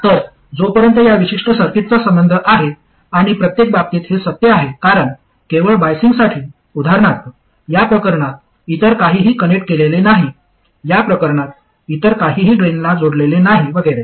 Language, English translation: Marathi, So that is as far as this particular circuit is concerned and this is true in every case because just for biasing, for instance in this case nothing else is connected, in this case nothing is connected to the drain and so on